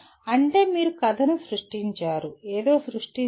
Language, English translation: Telugu, That means you have created a story, created something